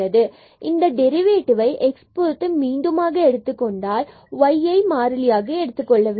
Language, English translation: Tamil, So, we have to take the derivative again with respect to x here treating y is constant